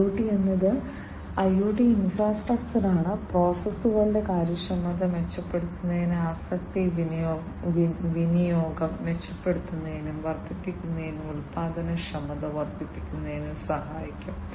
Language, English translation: Malayalam, IoT is IoT infrastructure can help in improving the efficiency of the processes can help in improving or enhancing the asset utilization, and increasing productivity